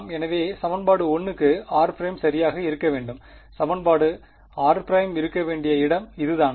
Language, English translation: Tamil, So, this is where r prime should be right for equation 1 and this is where r prime should be for equation